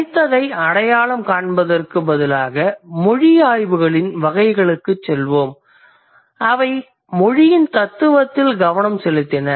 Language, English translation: Tamil, Instead of identifying the independent, let's say categories in linguistics or in language studies, they focused on the philosophy of language